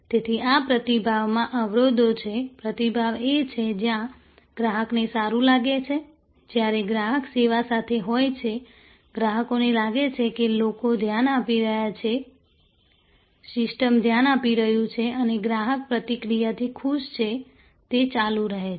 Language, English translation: Gujarati, So, these are barriers to responsiveness, responsiveness is where the customer feels good, when the customer is in the service flow, the customers feels that people are paying attention, the system is paying attention and the customer is happy with the interaction; that is going on